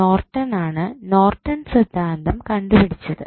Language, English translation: Malayalam, Norton gave the theory called Norton's Theorem